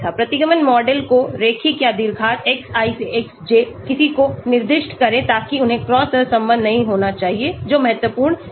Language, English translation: Hindi, Specify the form the regression model linear or quadratic, Xi to Xj which one to include so they should not be cross correlated that is very, very important